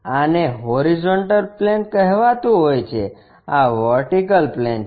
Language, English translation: Gujarati, This is called vertical this is horizontal plane